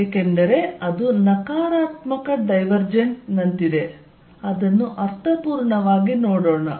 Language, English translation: Kannada, Because, that is like negative divergence, let us see make sense